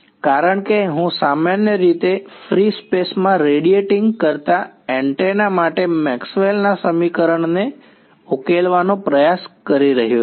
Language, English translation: Gujarati, Because I am trying to solve Maxwell’s equation for an antenna usually radiating in free space